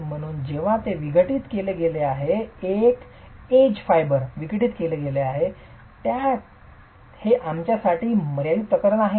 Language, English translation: Marathi, Hence that point where it's been decompressed, that edge fiber is decompressed is a limiting case for us